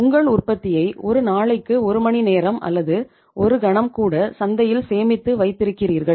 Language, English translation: Tamil, You are storing your production in the market even for a day an hour or maybe a moment not at all